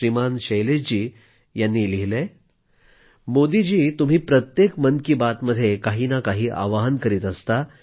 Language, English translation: Marathi, Shailesh writes, "Modi ji, you appeal to us on one point or the other, in every episode of Mann Ki Baat